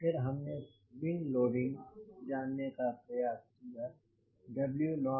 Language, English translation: Hindi, then we try to find out wing loading, w naught by s